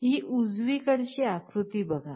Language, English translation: Marathi, You see this diagram on the right